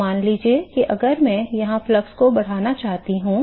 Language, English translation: Hindi, So, the; so, supposing if I want to I increase the flux here ok